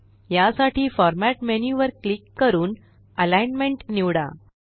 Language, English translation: Marathi, For this, let us click on Format menu and choose Alignment